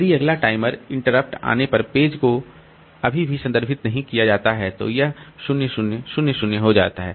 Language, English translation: Hindi, If the page is still not referred when the next timer interrupt comes, then it becomes 0 00